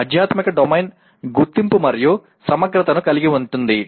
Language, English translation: Telugu, Spiritual Domain is characterized by identity and integrity